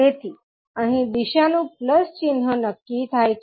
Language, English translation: Gujarati, So the direction is conforming to a plus sign here